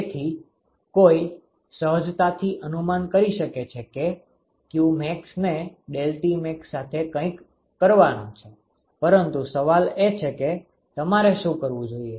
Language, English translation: Gujarati, So, one could intuitively guess that qmax has to be something to do with deltaTmax, but the question is what mdot Cp that you should use